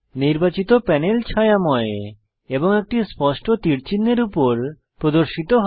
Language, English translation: Bengali, The chosen panel is shaded and a clear arrow sign appears over it